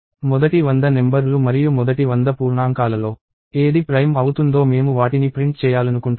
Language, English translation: Telugu, Not, the first hundred numbers and whatever is prime in the first hundred integers I want to print those